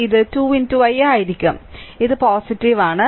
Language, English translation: Malayalam, So, it will be 2 into i then this is plus